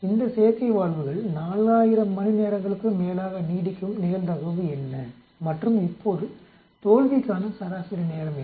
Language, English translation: Tamil, What is the probability that these artificial valves will last more than 4000 hours and now what is the mean time to failure